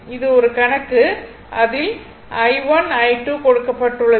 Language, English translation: Tamil, This is one your numerical is given i 1 i 2 and i 3